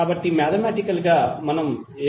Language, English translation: Telugu, So in mathematical terms what we can write